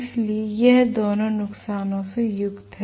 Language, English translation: Hindi, So, this is consisting of both these losses